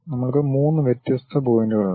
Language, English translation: Malayalam, We have 3 different points